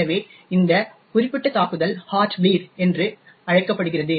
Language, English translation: Tamil, So, this particular attack is known as Heart Bleed